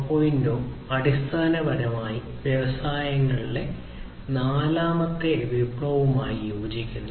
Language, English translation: Malayalam, 0 basically corresponds to the fourth revolution in the industries